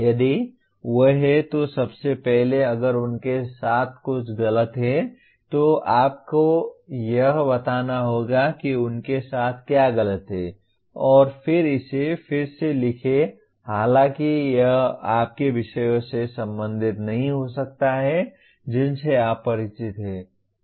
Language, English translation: Hindi, If they are, first of all if something is wrong with them you have to state what is wrong with them and then reword it though it may not belong to your subjects that you are familiar with